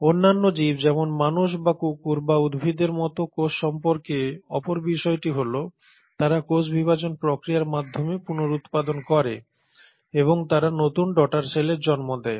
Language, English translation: Bengali, The other thing about cells like any other organism whether human beings or dogs or plants is that they reproduce through the process of cell division and they give rise to new daughter cells